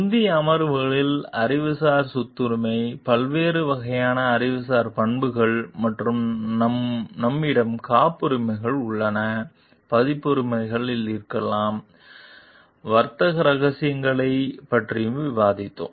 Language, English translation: Tamil, In the earlier sessions we have discussed about intellectual property rights, the different types of intellectual properties and for which we have patents, maybe copyrights, we have discussed about trade secrets also